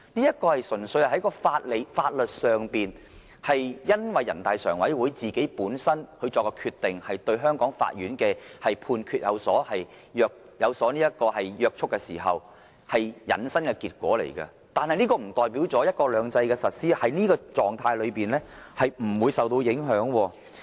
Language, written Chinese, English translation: Cantonese, 這純粹是在法律上，基於人大常委會本身作的決定對香港法院的判決有約束力，繼而引申的結果。但是，這並不代表"一國兩制"的實施，在這種狀態下不會受到影響。, But this is just the legal consequence of the binding force of NPCSCs decisions on the judgments of the courts in Hong Kong and certainly does not mean that the implementation of one country two systems is not thus affected